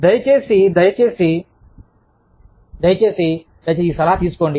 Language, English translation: Telugu, Please, please, please, please, take this piece of advice